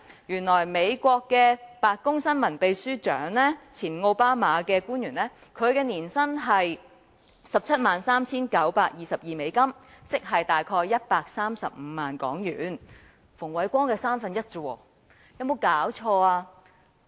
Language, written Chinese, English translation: Cantonese, 原來美國的白宮新聞秘書長在奧巴馬年代收取的年薪是 173,922 美元，亦即大約135萬港元，只是馮煒光年薪的三分之一。, How does his remuneration compare with that of a real White House spokesman? . In the United States the remuneration for the White House Press Secretary in the OBAMA era was US173,922 or about HK1.35 million that is only one third of the annual salary for Andrew FUNG